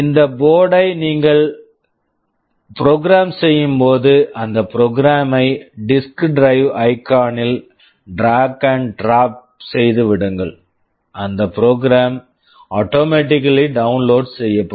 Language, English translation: Tamil, When you program this board you simply drag and drop that program into the disk drive icon, that program will automatically get downloaded